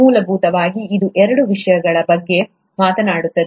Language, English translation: Kannada, Essentially it talks about two things